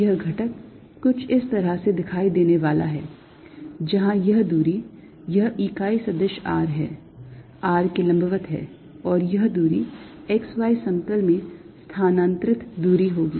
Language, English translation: Hindi, this element is going to look something like this: where this distance this is unit vector r is perpendicular to r and this distance is going to be distance moved in the x y plane